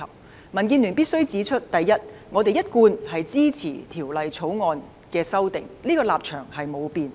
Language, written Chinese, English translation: Cantonese, 民主建港協進聯盟必須指出：第一，我們一貫支持《條例草案》的立場不變。, The Democratic Alliance for the Betterment and Progress of Hong Kong DAB must point out first our stance on rendering consistent support to the Bill remains unchanged